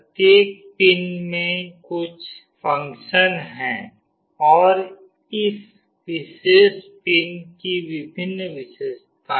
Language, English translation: Hindi, Each of the pins has got certain functionalities and there are various features of this particular pin